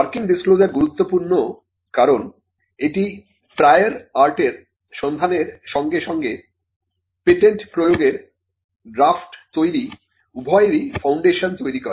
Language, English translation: Bengali, The working disclosure is important, because the working disclosure is what forms the foundation of both a prior art search as well as the foundation for drafting a patent application